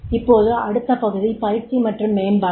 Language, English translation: Tamil, Now, the next part comes that is the training and development